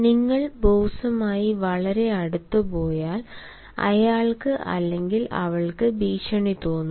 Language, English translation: Malayalam, if you go very close to the boss, he or she feels threatened